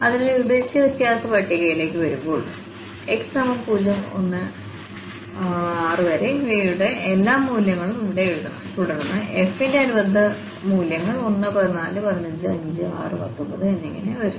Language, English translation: Malayalam, So, coming to the divided difference table we have to write all the values of these x here 0, 1, 2, 4, 5 and 6 and then the corresponding value of f which are 1, 14, 15, 5, 6, and 19